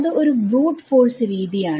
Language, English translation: Malayalam, That is what is called a brute force way of doing it